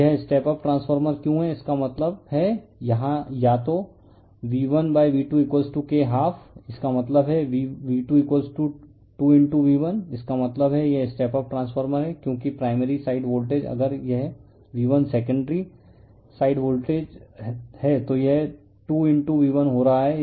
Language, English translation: Hindi, Why it is step up transformer; that means, here then V1 / V2 = K = half right; that means, V2 = 2 * V1 right; that means, it is step up transformer because primary side voltage if it is V1 secondary side it is becoming 2 * V1